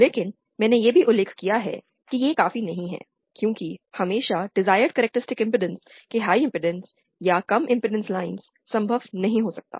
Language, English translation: Hindi, But I also mentioned that that is not enough because it may not always be possible to have high impedance or low impedance lines of the desired characteristic impedance